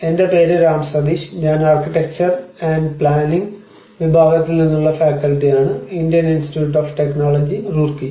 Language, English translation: Malayalam, I am an assistant, Department of Architecture and Planning, Indian Institute of Technology, Roorkee